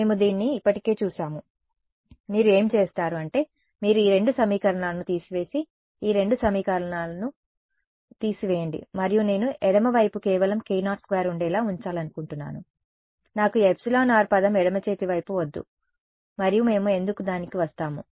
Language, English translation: Telugu, We have already seen this, what you do is you subtract these two equations and subtract these two equations and I want to keep the left hand side to have only k naught squared, I do not want this epsilon r term on the left hand side and we will come to why